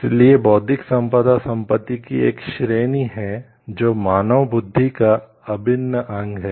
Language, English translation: Hindi, So, intellectual property is a category of property which is the intangible creation of human intelligence